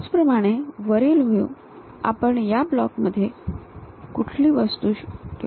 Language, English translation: Marathi, Similarly, in top view the object what we can see as a block, is this block